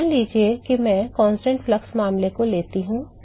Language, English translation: Hindi, So, suppose I find for the constant flux case